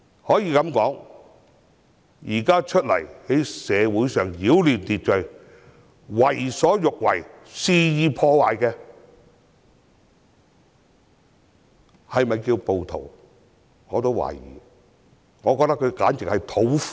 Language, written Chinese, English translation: Cantonese, 我對現時擾亂社會秩序，為所欲為，肆意破壞的人是否稱為暴徒表示懷疑，我覺得他們簡直是土匪。, I doubt whether we should call those who disrupted social order did whatever they wanted and committed wanton vandalism rioters; I think we can even call them bandits